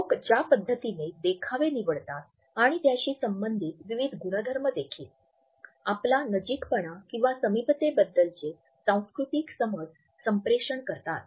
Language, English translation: Marathi, The way people choose the mis en scene and different properties related with it, also communicates our cultural understanding of proximity